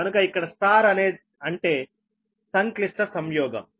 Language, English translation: Telugu, so star means that complex conjugate